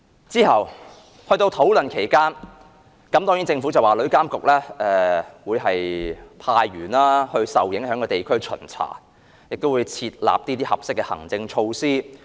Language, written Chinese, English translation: Cantonese, 在討論期間，政府說旅監局會派員到受影響地區巡查，亦會制訂合適的行政措施。, During our past discussions the Government said that TIA would arrange inspection of the affected areas and formulate appropriate administrative measures